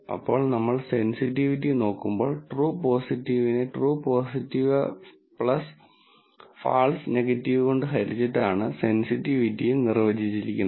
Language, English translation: Malayalam, Now, when we look at sensitivity, we said sensitivity is defined as true positive divided by true positive plus false negative